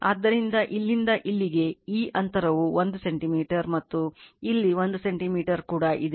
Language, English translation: Kannada, So, from here to here this gap is 1 centimeter right and here also 1 centimeter